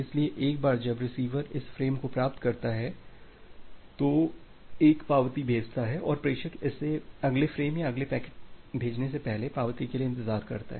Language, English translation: Hindi, So, once the receiver receives this frame, it sends back an acknowledgement and the sender it waits for the acknowledgement before sending the next frame or the next packet